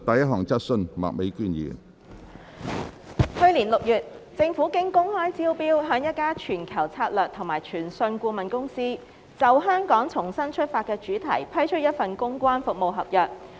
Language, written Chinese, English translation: Cantonese, 去年6月，政府經公開招標向一家全球策略及傳訊顧問公司，就"香港重新出發"的主題批出一份公關服務合約。, President in June last year the Government awarded through open tender a public relations service contract for the theme of Relaunch Hong Kong to a global strategy and communications consultancy firm